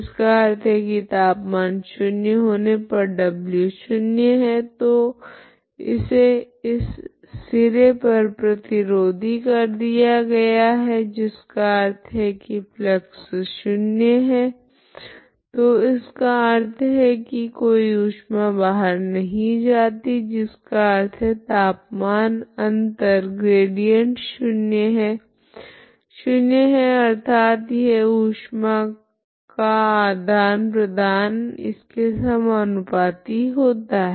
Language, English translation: Hindi, That means at temperature is 0 means w is 0 or so it is insulated at this end that means flux is 0, so no heat is going out that means the temperature difference is gradient is 0 that is proportional to the heat exchange